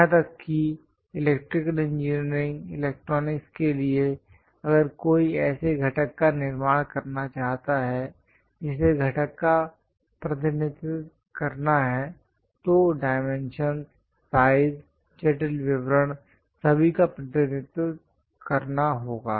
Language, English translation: Hindi, Even for electrical engineering electronics, if someone would like to manufacture a component that component has to be represented clearly, the dimensions, the size, what are the intricate details, everything has to be represented